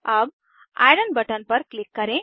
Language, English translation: Hindi, Let us click on Iron button